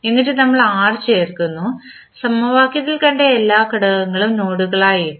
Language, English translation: Malayalam, And, then we add R so, we have put all the elements which we have seen in the equation as nodes